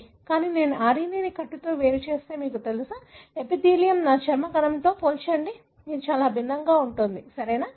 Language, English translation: Telugu, But, if I isolate the RNA from by buckle, you know, epithelium, compare it with my skin cell, it is going to be very, very different, right